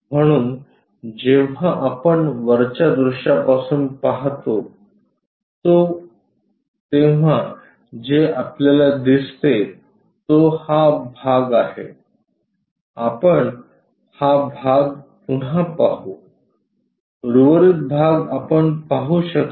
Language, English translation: Marathi, So, when we are looking from top view what is visible is that portion, again we will see this portion the remaining portions we can not visualize